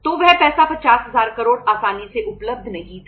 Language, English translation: Hindi, So that money was not easily available 50000 crores